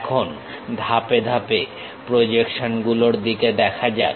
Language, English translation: Bengali, Now, let us look at these projections step by step